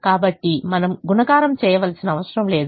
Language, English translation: Telugu, so we don't have to do the multiplication